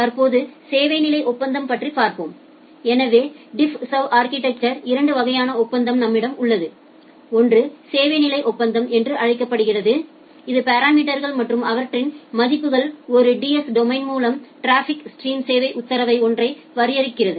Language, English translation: Tamil, So, the service level agreement; so, we have two type of agreement in DiffServ architecture, one is called a service level agreement which is a set of parameters and their values which together define the service order to a traffic stream by a DS domain